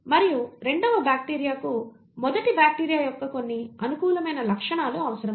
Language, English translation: Telugu, And the second bacteria requires certain favourable features of the first bacteria